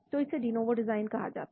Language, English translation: Hindi, So that is called de novo design